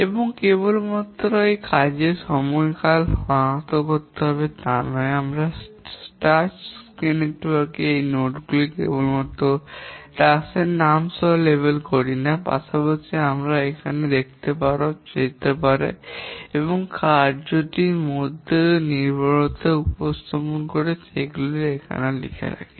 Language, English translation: Bengali, We not only label these nodes on the task network with the name of the task, but also we write the durations here as you can see and we represent the dependencies among the task